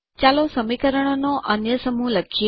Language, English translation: Gujarati, Let us write another set of equations